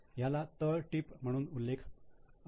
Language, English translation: Marathi, It is to come as a footnote